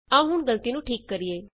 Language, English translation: Punjabi, Now Let us fix this error